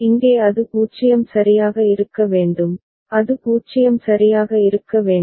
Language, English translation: Tamil, Here it should be 0 right it should be 0 right